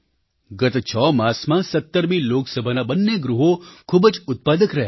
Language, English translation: Gujarati, In the last 6 months, both the sessions of the 17th Lok Sabha have been very productive